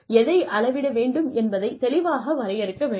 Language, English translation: Tamil, What to measure, needs to be clearly defined